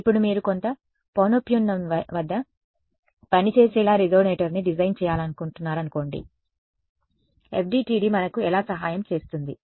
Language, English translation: Telugu, Now, supposing you want to design a resonator to work at some frequency how will FDTD will help us in that